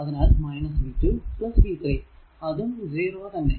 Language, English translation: Malayalam, So, v 1 will be 2 plus 2